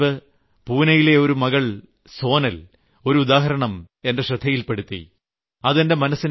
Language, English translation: Malayalam, A few days ago, I came across a mention of Sonal, a young daughter from Pune